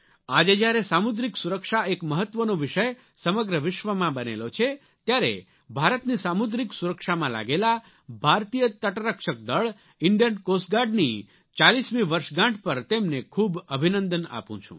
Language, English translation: Gujarati, In the backdrop of the fact that maritime security today has become an issue of global concern and the excellence displayed by Coast Guard in securing India's coast line, I extend my heartiest felicitations to them on their 40th birthday